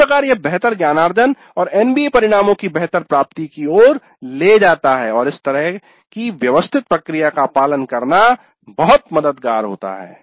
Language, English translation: Hindi, Thus it leads to better learning and better attainment of the NBA outcomes and it is very helpful to follow such a systematic process